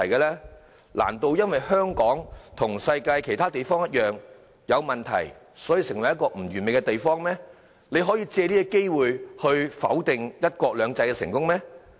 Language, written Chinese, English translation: Cantonese, 難道因為香港和世界其他地方一樣，存在不完美的地方，便可以否定"一國兩制"的成功嗎？, Should we negate the success of one country two systems simply because Hong Kong like other places in the world has areas of inadequacies?